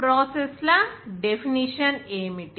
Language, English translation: Telugu, What is the definition of processes